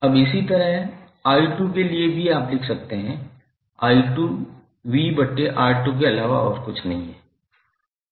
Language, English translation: Hindi, Now, similarly for i2 also you can write i2 is nothing but V by R2